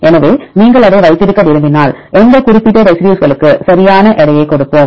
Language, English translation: Tamil, So, if you want to keep that we will give weightage to that particular residue right